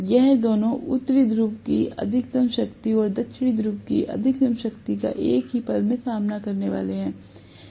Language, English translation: Hindi, Both of them are going to face the maximum strength of North Pole and maximum strength of South Pole at the same instant